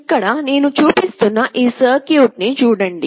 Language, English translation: Telugu, Here you look at this circuit that I am showing